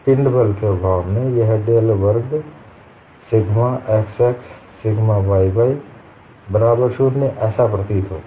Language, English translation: Hindi, In the absence of body force it appears like this del squared sigma xx plus sigma yy equal to 0